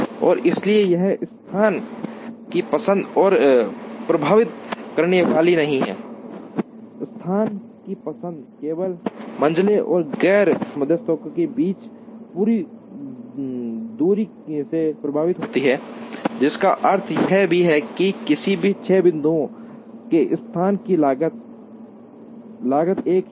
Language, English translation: Hindi, And therefore, it is not going to influence the choice of the location, the choice of the location is merely influenced only by the distance between the median and the non medians, which also means that, the cost of location in any of the six points is the same